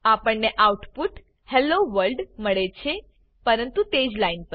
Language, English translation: Gujarati, We get the output as Hello World but on the same line